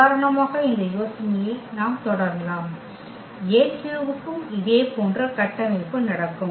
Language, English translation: Tamil, We can continue this idea for example, A 3 also the same similar structure will happen